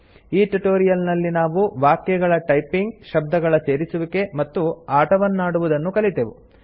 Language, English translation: Kannada, In this tutorial we learnt to type phrases, add our own words, and play a game